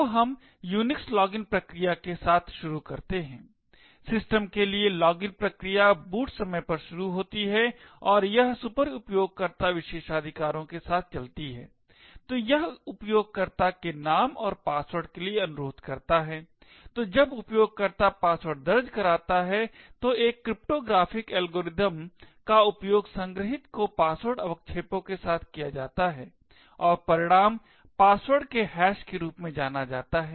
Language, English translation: Hindi, So, let us start with the Unix login process, the login process for system is started at boot time and it runs with superuser privileges, so it request for a username and password, so when the user enters the password a cryptographic algorithm is used on the password with the stored salt and the result is something known as the hash of the password